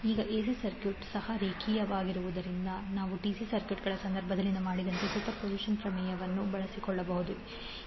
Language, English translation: Kannada, So, now as AC circuit is also linear you can utilize the superposition theorem in the same way as you did in case of DC circuits